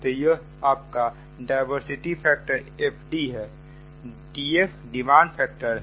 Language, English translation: Hindi, so diversity factor, fd is equal to sum